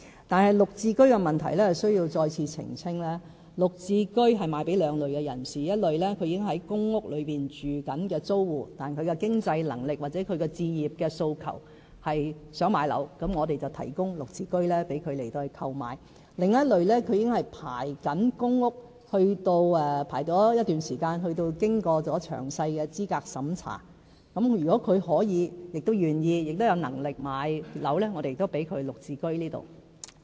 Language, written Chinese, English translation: Cantonese, 但是，在"綠置居"問題上，我需要再次澄清，"綠置居"會售予兩類人士：一類是已正在公屋居住的租戶，但其經濟能力或置業訴求是想買樓，我們便提供"綠置居"讓他們購買；另一類是已正在輪候公屋一段時間，並已經過詳細資格審查的人士，如果他們可以，亦願意和有能力買樓，我們也讓他們購買"綠置居"。, If they have the means and intention to purchase their homes we will provide GSH units for them to purchase . The second category are people who have been waiting for PRH allocation for quite some time and who have undergone thorough eligibility vetting . If they have the intention and means to purchase a housing unit they may likewise purchase GSH units